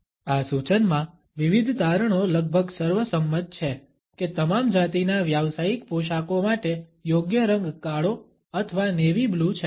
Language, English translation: Gujarati, Different findings are almost unanimous in this suggestion that the appropriate color for the professional attires for all genders is either black or navy blue